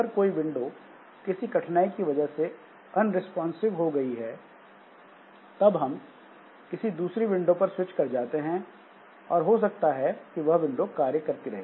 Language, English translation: Hindi, Now, if one window due to some problem or the other becomes unresponsive, so we switch over to other window and possibly that window continues